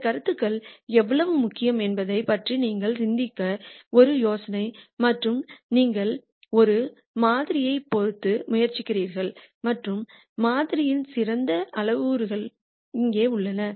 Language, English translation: Tamil, Just as a idea for you to think about how important these concepts are and you are trying to fit a model and the best parameters for the model are here